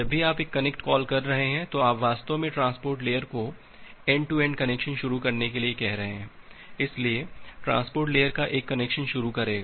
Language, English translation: Hindi, Whenever you are making a connect call, then you are actually asking the transport layer to initiate a end to end connection, so the transport layer will initiate a connection